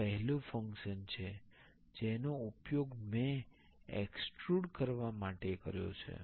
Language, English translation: Gujarati, This is the first function I have used that is to extrude